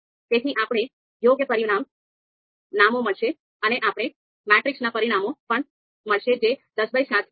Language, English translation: Gujarati, We will also get the you know you know dimensions of the matrix which is ten by seven